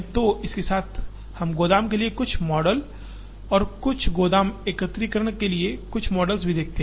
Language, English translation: Hindi, So, with this, we also look at some models for warehouse and models for warehouse aggregation